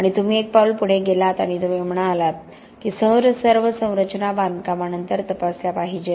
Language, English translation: Marathi, And you have gone one step further and you have said that all structures should be tested after construction